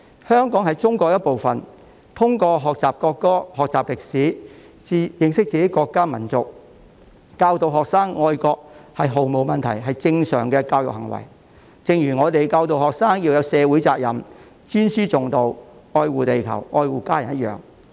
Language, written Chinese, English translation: Cantonese, 香港是中國的一部分，通過學習國歌、學習歷史，認識自己的國家、民族，教導學生愛國，是毫無問題及正常的教育行為，正如我們教導學生要有社會責任、尊師重道、愛護地球和家人一樣。, Hong Kong is a part of China there is absolutely no problem to learn the national anthem learn the history understand our country and nation and teach students to be patriotic which is a normal education requirement just as we would teach students to shoulder social responsibilities respect teachers and care the earth and their family